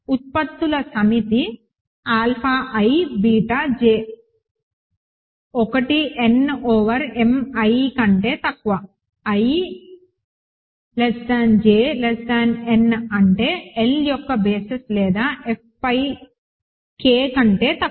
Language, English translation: Telugu, The set of products alpha i beta j, 1 less than i less than n over m, 1 less than j less then n form say basis of L or rather K over F